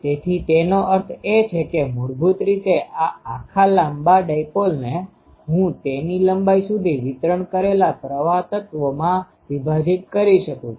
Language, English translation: Gujarati, So; that means, basically these whole long dipole that I can break as a break into current elements distributed throughout it is length